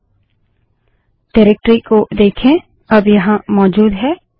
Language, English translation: Hindi, See the directory is now present here